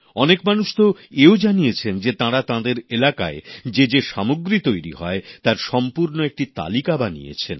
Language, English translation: Bengali, Many people have mentioned the fact that they have made complete lists of the products being manufactured in their vicinity